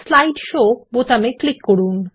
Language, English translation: Bengali, Click on the Slide Show button